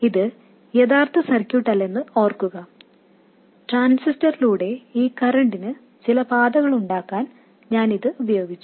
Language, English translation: Malayalam, Remember, this is not in the original circuit, I have used it to have some pathway for this current through the transistor